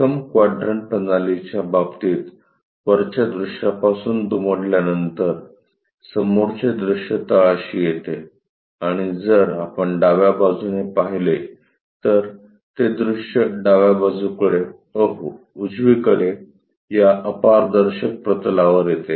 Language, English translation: Marathi, In case of 1st quadrant system, the front view after folding it from top view comes at bottom and if we are looking from left hand side, the view comes on to the projection onto this opaque plane of left hand side uh to the right side